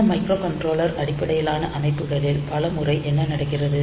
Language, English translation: Tamil, So, many times what happens is that with this microcontroller based systems